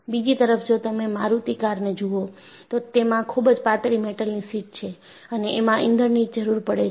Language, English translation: Gujarati, On the other hand if you look at Maruti, it is of very thin sheet metal work and there is also a demand on fuel consumption deduction